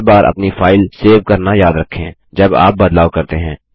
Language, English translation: Hindi, Remember to save your file every time you make a change